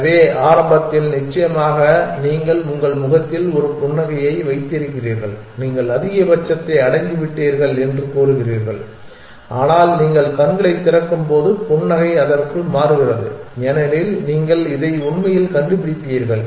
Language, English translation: Tamil, So, initially of course you have a smile on your face saying that you have reach the maxima, but when you open your eyes then the smile turns into a because then you will discovered that actually this